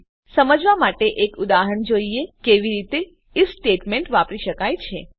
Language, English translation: Gujarati, now Let us look at an example to understand how the If Statement can be used